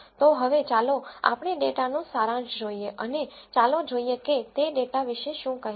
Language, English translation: Gujarati, So now, let us look at the summary of the data and let us see what it has to tell about the data